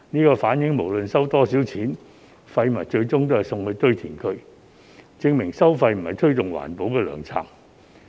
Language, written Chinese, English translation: Cantonese, 這反映不論收多少錢，廢物最終也是送到堆填區，證明收費並非推動環保的良策。, This shows that waste eventually goes to landfills regardless of how much is charged which proves that levying charges is not a good policy to promote environmental protection